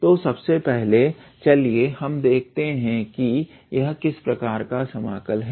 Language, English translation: Hindi, So, first of all let us see the type of this integral